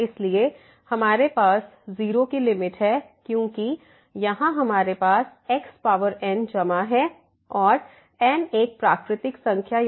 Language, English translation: Hindi, So, we have the limit because here we have the power plus and n is a natural number